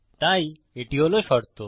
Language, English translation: Bengali, So this is the condition